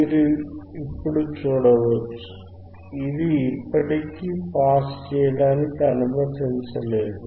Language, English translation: Telugu, You can see now, still it is still not allowing to pass